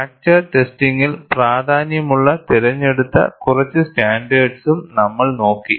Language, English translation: Malayalam, And then we saw selected few standards that are of importance in fracture testing